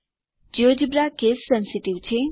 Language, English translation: Gujarati, Geogebra is case sensitive